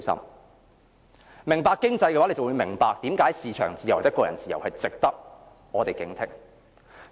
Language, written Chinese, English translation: Cantonese, 如果你懂經濟，你便會明白為甚麼市場自由、個人自由是值得我們警惕。, If you know economics you will understand why market freedom and individual freedom are worth our vigilance